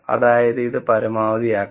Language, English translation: Malayalam, That means, this has to be maximized